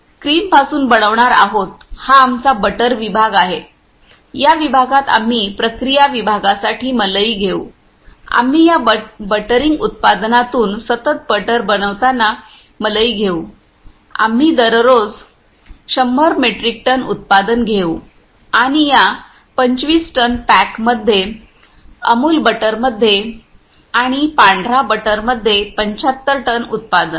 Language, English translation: Marathi, From cream we will make this is our butter section in this section we will take cream for process section, we will take cream in continuous butter making from this buttering production we will take production daily 100 metric ton and in these 25 ton pack in Amul butter and 75 ton production in white butter